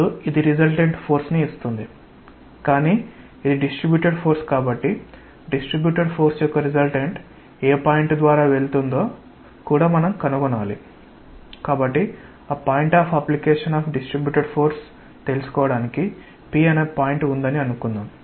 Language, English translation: Telugu, Now, this gives the resultant force, but since it is a distributed force, we also need to find out what is the point through which the resultant of the distributed force passes, so the point of application of the distributed force